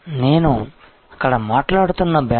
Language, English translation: Telugu, The bonds that I was talking about there